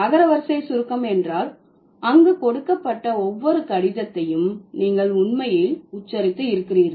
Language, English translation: Tamil, So, alphabetic abbreviation means you are you are actually pronouncing each alphabet, like each letter given over there